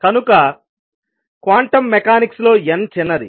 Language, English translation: Telugu, So, in quantum mechanics n is small